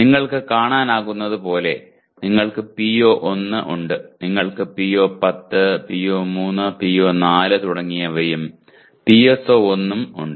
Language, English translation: Malayalam, As you can see you have PO1 and you have PO10, PO3, PO4 and so on and PSO1